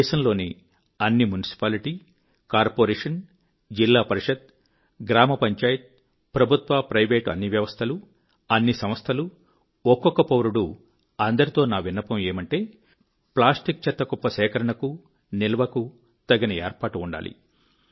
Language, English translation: Telugu, I urge all municipalities, municipal corporations, District Administration, Gram Panchayats, Government & non Governmental bodies, organizations; in fact each & every citizen to work towards ensuring adequate arrangement for collection & storage of plastic waste